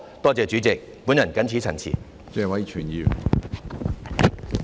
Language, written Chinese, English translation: Cantonese, 多謝主席，我謹此陳辭。, Thank you President . I so submit